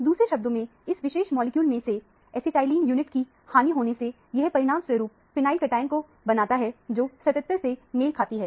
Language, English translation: Hindi, In other words, loss of an acetylene unit from this particular molecule results in the formation of a phenyl cation, which corresponds to 77